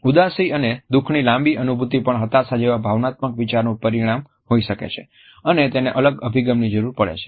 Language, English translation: Gujarati, A prolonged feeling of sorrow and unhappiness can also be a result of an emotional disorder like depression and may require a different approach